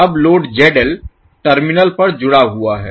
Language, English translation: Hindi, Now, the load ZL is connected across the terminal